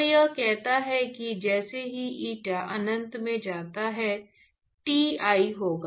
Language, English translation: Hindi, And then you have eta going to infinity that is Ti